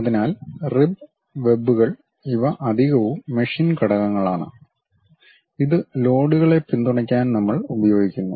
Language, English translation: Malayalam, So, ribs webs these are the additional machine elements, which we use it to support loads